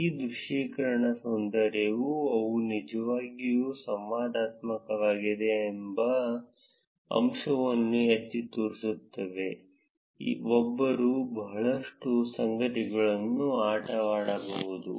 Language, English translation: Kannada, The beauty of these visualizations highlight the fact that they are really interactive; one can play around with a lot of things